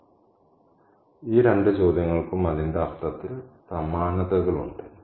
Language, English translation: Malayalam, So, these two questions have a similar ring in terms of its meaning